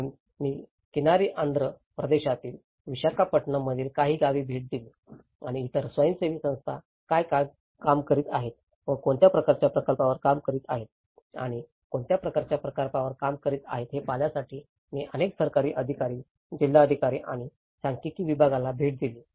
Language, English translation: Marathi, So, I visited some of the villages in Visakhapatnam which is in the coastal Andhra Pradesh and visited many of the government officials, the collectorates and the statistical department to see what other NGOs are working on and what kind of projects they are doing on and what how the damage statistics have been gathered you know